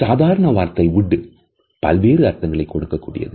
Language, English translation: Tamil, For example, we may say wood and it may have some different meanings